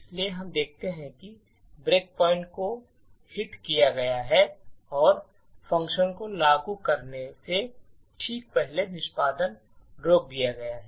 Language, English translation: Hindi, So, we see that the break point has been hit and the execution has stopped just before the function has been invoked